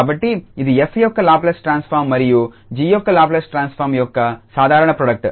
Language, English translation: Telugu, So, it is a simple product of Laplace transform of f and the Laplace transform of g